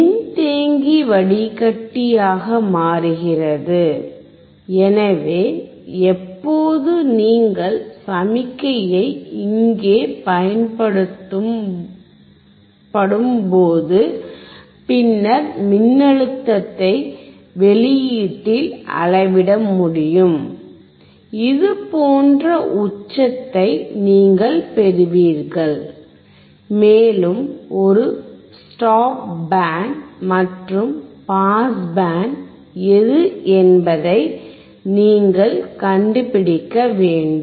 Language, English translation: Tamil, Capacitor becomes filter, so when you apply signal here, then you can measure the voltage across output, and you find that you get the peak like this, and, you have to find what is a stop band and what is a pass band